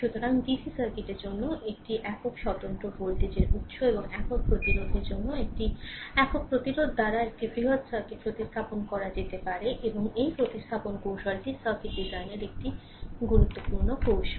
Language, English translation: Bengali, So, a large circuit can be replaced by a single independent voltage source and a single resistor for single resistor means for DC circuit right and this replacement technique is a powerful tool in circuit design, right